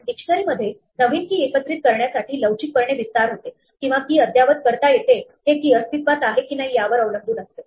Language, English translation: Marathi, In a dictionary, it flexibly expands to accommodate new keys or updates a key depending on whether the key already exists or not